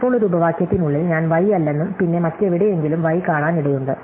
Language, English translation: Malayalam, Now, inside a clause, I am might see not y and then somewhere else I may see y